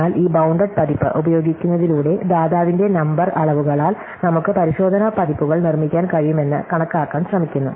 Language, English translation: Malayalam, But by using this bounded version where we provide us a number quantities, we are trying to estimate we can produces checking versions